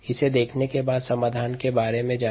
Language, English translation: Hindi, ok, having seen this, let us go about the solution